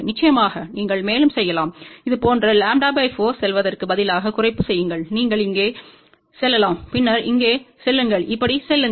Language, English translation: Tamil, Of course, you can further do the reduction instead of going lambda by 4 like this, you can go here then go here then go like this